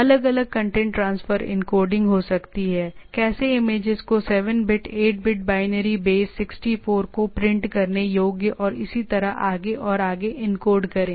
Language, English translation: Hindi, There can be different content transfer encoding how to encode the images 7 bit, 8 bit binary, base 64 quoted printable and so and so forth